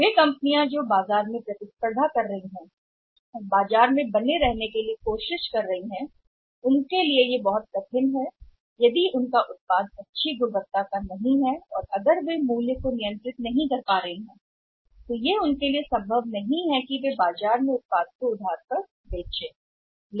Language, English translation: Hindi, Companies who are in the market competing and trying to sustain in the market it may be very difficult for them if their product is not excellent and if the price they are not able to control then it may be possible for them to give the credit in the market to sell the product at a credit in the market